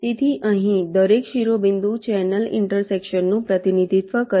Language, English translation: Gujarati, so here, ah, each vertex represents a channel intersection